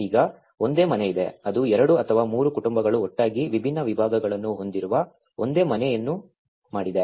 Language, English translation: Kannada, Now there is one single house which is having like two or three families together they made one single house having different partitions